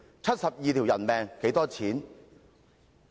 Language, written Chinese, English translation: Cantonese, 七十二條人命又值多少錢？, How much are the 72 human lives?